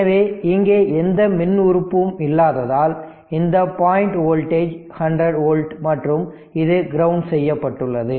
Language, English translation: Tamil, So, no electrical element here means, this point voltage is 100 volt and if I say it is it is grounded